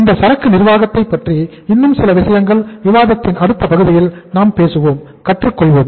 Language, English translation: Tamil, Some more thing about this inventory management we will be talking about and learning about in the next part of discussion